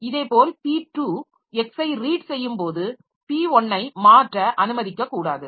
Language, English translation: Tamil, Similarly when p2 is reading x p1 should not be allowed to modify